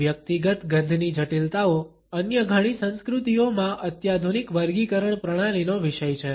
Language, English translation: Gujarati, The complexities of the personal odor are the subject of sophisticated classification systems in many other cultures